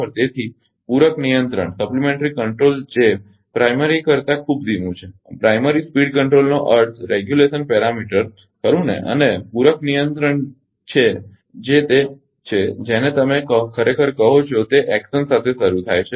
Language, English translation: Gujarati, So, supplementary control which is much slower than the primary; primary speed control means the regulation parameter, right and supplementary control which is it it comes ah with a your what you call actually it action starts